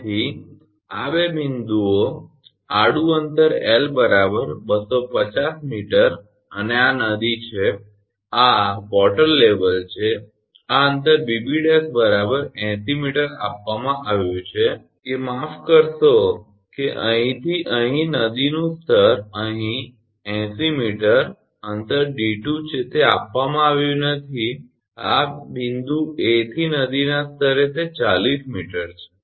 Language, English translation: Gujarati, So, these two points horizontal distance L is equal to here 250 meter and this is the river and this is the water level and this distance BB dash is 80 meter is given that the sorry that from here to here the river level to here it is eighty meter this distance is d 2 not given and this from point A to the river level, it is 40 meter